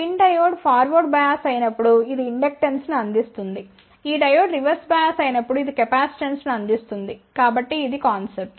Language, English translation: Telugu, When the pin diode is forward bias then this will provide inductance when this diode is reverse biased this will provide capacitance ok so that is the concept